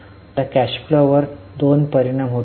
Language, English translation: Marathi, So, they will have two impacts on cash flow